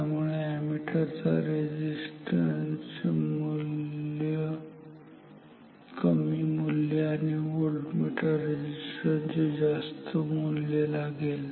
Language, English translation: Marathi, Voltmeter resistance is very high ammeter resistance is very low